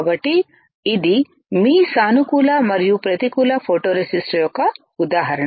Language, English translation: Telugu, So, this is the example of your positive and negative photoresist